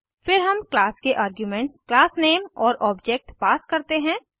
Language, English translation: Hindi, Then we pass arguments as class name and object of the class